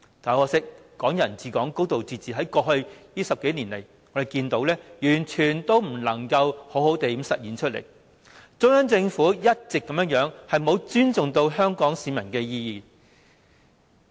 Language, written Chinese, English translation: Cantonese, 很可惜，"港人治港"、"高度自治"在過去10多年完全未能好好落實，中央政府一直沒有尊重香港市民的意願。, Regrettably Hong Kong people ruling Hong Kong and a high degree of autonomy have never been properly implemented over the past 10 years and the Central Government has never respected the aspirations of Hong Kong people